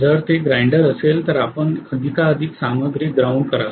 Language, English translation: Marathi, If it is a grinder you will put more and more material to be ground